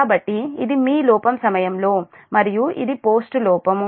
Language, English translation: Telugu, so this is your during fault and this is post fault